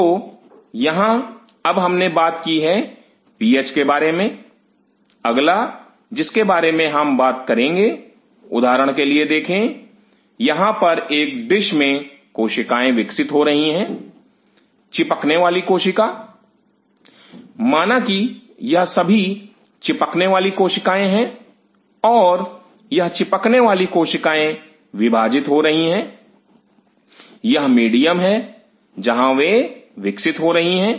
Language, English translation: Hindi, So, here we have now talked about the PH, the next what will be talking about is see for example, here the cells are growing in a dish adhering cell assuming that these are all adhering cells and these adhering cells are dividing, this is the medium where they are growing